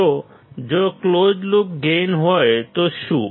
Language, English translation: Gujarati, So, what if there is a closed loop gain